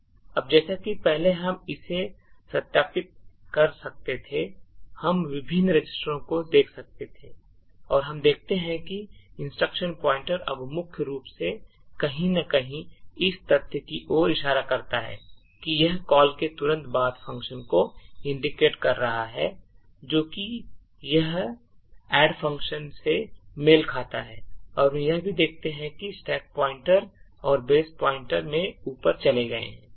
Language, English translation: Hindi, Now as before we could also verify this, we could look at the various registers and we see that the instruction pointer now points to somewhere in main in fact it is pointing to the function soon after the call which is this which corresponds to the add function and what we also see is that the stack pointer and the base pointer have moved up in the stack